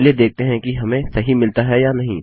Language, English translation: Hindi, Lets see if I can get it right